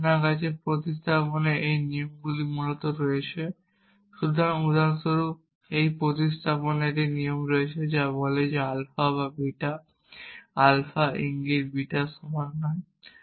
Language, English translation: Bengali, So, for example, we have this rule of substitution which says that not alpha or beta is equal to alpha implies beta